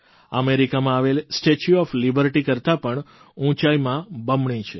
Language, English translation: Gujarati, It is double in height compared to the 'Statue of Liberty' located in the US